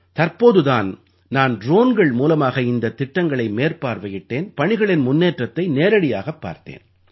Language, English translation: Tamil, Recently, through drones, I also reviewed these projects and saw live their work progress